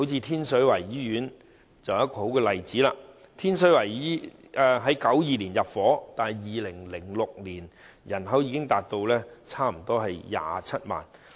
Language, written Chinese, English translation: Cantonese, 天水圍的住宅樓宇於1992年開始入伙 ，2006 年該區人口已達差不多27萬。, Residential buildings in Tin Shui Wai began to take in residents in 1992 and the population of that district already reached some 270 000 in 2006